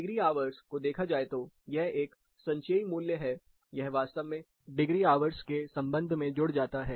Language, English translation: Hindi, As far degree hours are concerned, it is like a cumulative value, it actually sums up in terms of degree hours